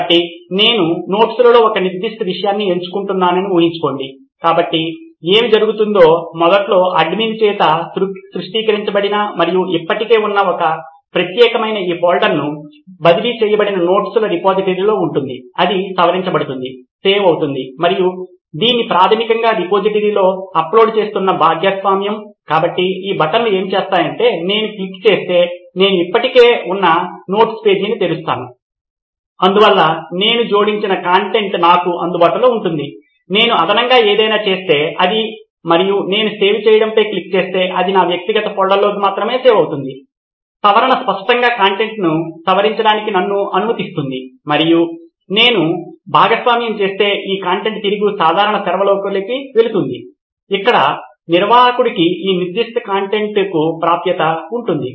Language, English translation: Telugu, So imagine I choose a certain subject in notes, so what happens would be that, there would be an existing repository of notes that is been initially created by the admin and transferred to this particular folder by me right okay, it will be edit, save and share which is basically uploading it back into the repository, so what these buttons would do is that if I click on I open an existing node page, so there is the content that I have added available to me, if I make any addition to it and I click on save it gets saved into only my personal folder, edit obviously allows me to edit the content and if I share then this content would be going back into the common server where the admin would have access to this particular content